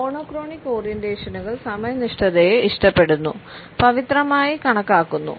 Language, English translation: Malayalam, Monochronic orientations prefers punctuality which is considered to be almost sacred